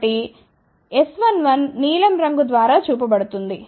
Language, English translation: Telugu, So, S 1 1 is shown by blue color